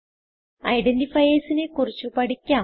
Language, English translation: Malayalam, Let us know about identifiers